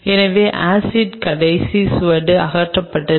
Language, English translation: Tamil, So, that the last trace of acid is kind of removed